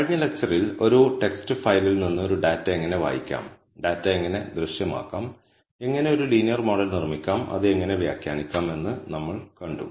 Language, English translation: Malayalam, In the last lecture, we saw how to read a data from a text file, how to visualize the data, how to build a linear model, and how to interpret it